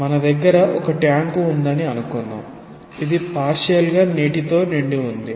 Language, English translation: Telugu, Say you have a tank now it is completely filled with water and it is closed